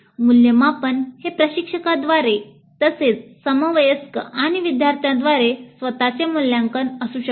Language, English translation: Marathi, The evaluation can be self evaluation by the instructor as well as by peers and students